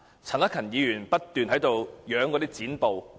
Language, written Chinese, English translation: Cantonese, 陳克勤議員不斷展示有關剪報。, Mr CHAN Hak - kan keeps showing those newspaper clippings